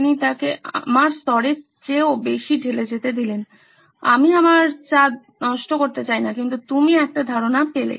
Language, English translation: Bengali, He let him pour even more than my level, I don’t want to ruin my tea but you get the idea